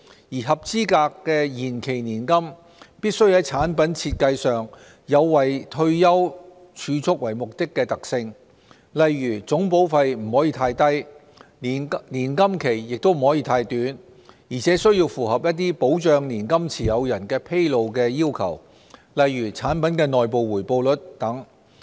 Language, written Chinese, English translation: Cantonese, 而合資格的延期年金必須在產品設計上有以退休儲蓄為目的的特性，例如總保費不能太低，年金期不可太短，而且須符合一些保障年金持有人的披露要求，例如產品的內部回報率等。, The product design of an eligible deferred annuity must be characterized for retirement saving purpose . For example the total premium cannot be too low the period of annuity cannot be too short and it has to be in line with the disclosure requirements for the protection of annuity holders such as the internal rate of return of a product